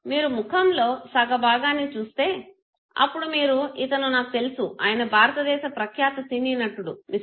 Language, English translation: Telugu, And now when you see half of the face okay, you said it Oh I know him, he is the most celebrated actors of Indian cinema Mr